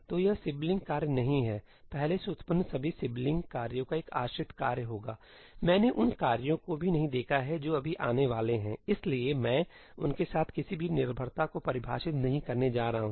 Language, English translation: Hindi, So, this is not sibling task will be a dependent task of all previously generated sibling tasks; I have not even seen the tasks which are going to come yet, so I am not going to define any dependency with respect to them